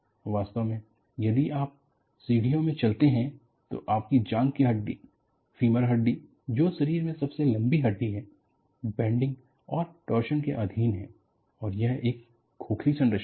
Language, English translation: Hindi, Actually, if you walk in stairs, your thigh bone is the longest bone in the body; femur bone is subjected to bending, as well as torsion and, is a hollow structure